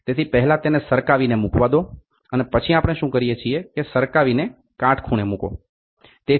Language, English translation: Gujarati, So, first it is allowed to slide and place and then what we do is slide and place a perpendicular